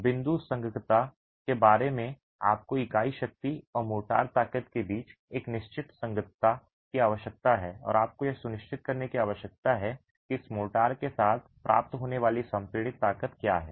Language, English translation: Hindi, You need a certain compatibility between the unit strength and the motor strength and you need to be sure what is the compressive strength that is achievable with this motor